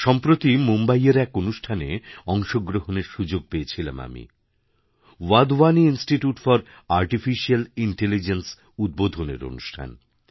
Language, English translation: Bengali, Recently I got an opportunity to take part in a programme in Mumbai the inauguration of the Wadhwani Institute for Artificial Intelligence